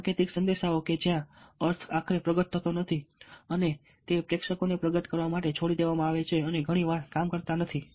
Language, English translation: Gujarati, symbolic messages, where the meaning is finally unfolded and left to the audience to unfold it, often do not work